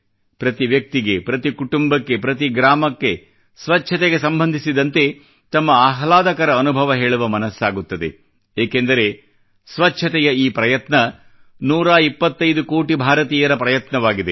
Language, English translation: Kannada, Every person, every family, every village wants to narrate their pleasant experiences in relation to the cleanliness mission, because behind this effort of cleanliness is the effort of 125 crore Indians